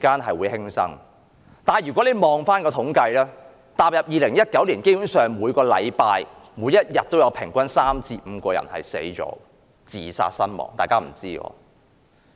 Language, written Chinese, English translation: Cantonese, 可是，如果你看回統計數字，踏入2019年，基本上，每天平均有3至5人自殺身亡。, But then a look at the statistics will tell you that there has been a daily average of three to five suicidessince 2019